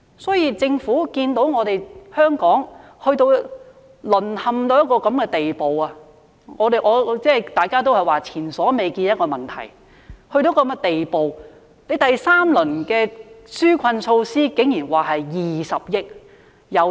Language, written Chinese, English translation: Cantonese, 所以，政府看到香港淪陷至現時這個地步，大家也說這個問題是前所未見的，到了這個地步，政府的第三輪紓困措施竟然只提供20億元。, So the Government has seen Hong Kong fallen into the present state . We all say this problem is unprecedented . Having come to this stage the Government surprisingly only doles out 2 billion in the third round of relief measures